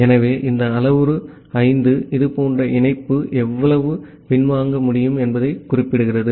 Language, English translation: Tamil, So, this parameter 5 which specifies how much such connection can get backlogged